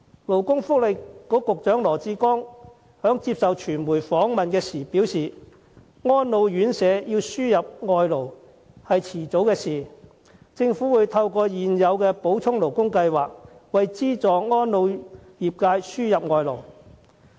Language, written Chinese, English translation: Cantonese, 勞工及福利局局長羅致光在接受傳媒訪問時表示，安老院舍要輸入外勞是早晚的事，政府會透過現有的補充勞工計劃，為資助安老業界輸入外勞。, Dr LAW Chi - kwong Secretary for Labour and Welfare says in a media interview that it is a matter of time that elderly homes will have to import foreign labour . Under the current Supplementary Labour Scheme SLS the Government will pave the way for importation of labour for the subsidized residential care homes for the elderly